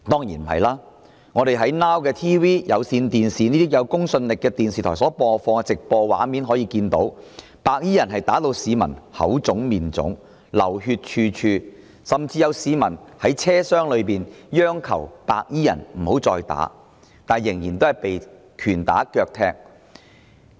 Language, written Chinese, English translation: Cantonese, 從 Now TV 及有線電視等有公信力的電視台所播放的直播畫面可見，白衣人將市民打得"口腫面腫"、血流處處，甚至有市民在車廂內央求白衣人停手，但仍然被拳打腳踢。, From the live footages captured by those television broadcasters of credibility such as Now TV and i - Cable we can notice that those white - clad gangsters beat up people aggressively and inflicted multiple bleeding injuries on them . Some passengers on board the train begged those white - clad gangsters to stop their attack but they nonetheless ended up receiving punches and kicks all the same